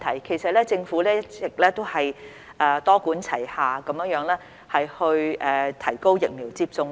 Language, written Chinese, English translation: Cantonese, 其實，政府一直多管齊下提高疫苗接種率。, In fact the Government has all along adopted a multi - pronged approach to raise the vaccination rate